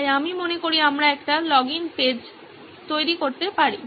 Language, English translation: Bengali, So I think we can create a login page